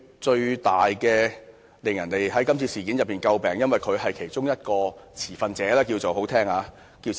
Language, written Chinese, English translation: Cantonese, 在今次事件中，他最為人詬病，因為他是其中一名"持份者"——這是比較好聽的說法。, In this incident he has attracted great criticisms for he is one of the stakeholders―to put it in a nicer way